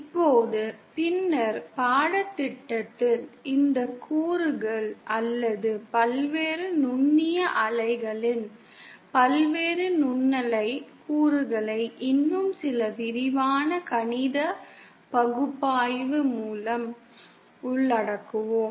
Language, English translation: Tamil, Now later on in the course, we will of course cover these components or various microwave components of different number of ports with some more detailed mathematical analysis